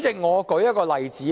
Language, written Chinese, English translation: Cantonese, 我舉一個例子。, I now cite an example